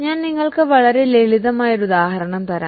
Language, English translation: Malayalam, I'll just give you a very simple example